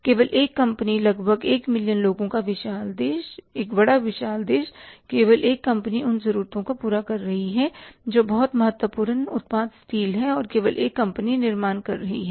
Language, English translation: Hindi, Only one company huge country say around 1 billion people huge country large country and only one company is fulfilling the needs which is very important product, steel and only one company is manufacturing